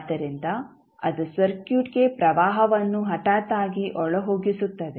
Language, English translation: Kannada, So, that is the sudden injection of current into the circuit